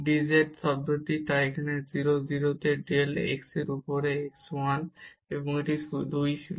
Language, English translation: Bengali, The dz term, so del z over del x at 0 0 is 1 and this was 2 there